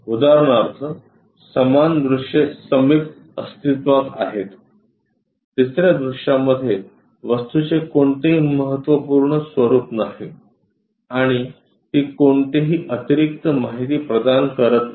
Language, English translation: Marathi, For example, identical adjacent views exists the third view has no significant contours of the object and it provides no additional information